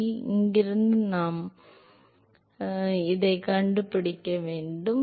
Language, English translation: Tamil, So, from here we should be able to find out what is um